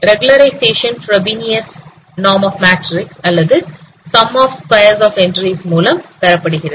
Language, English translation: Tamil, And regularizer is using provenous norm of matrix or sum of square of this entries